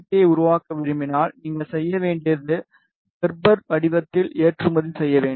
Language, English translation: Tamil, Now if you want to fabricate this particular PCB, all you need to do is you need to export it in Gerber format